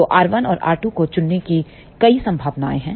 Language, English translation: Hindi, So, there are several possibilities of choosing R 1 and R 2